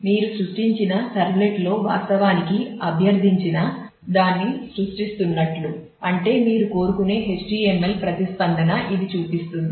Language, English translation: Telugu, So, which shows that in the servlet you are creating actually creating the requested I mean possible HTML response that you would like to have